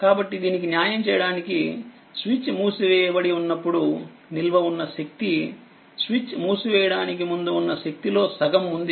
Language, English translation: Telugu, So, we see that the stored energy after the switch is closed is half of the value before switch is closed right